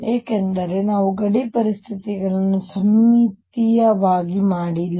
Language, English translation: Kannada, This is because we have not made the boundary conditions symmetric